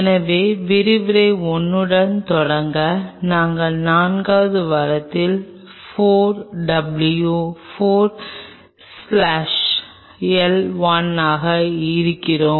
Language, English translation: Tamil, So, to start off with Lecture 1 and we are into week 4 W 4 slash L 1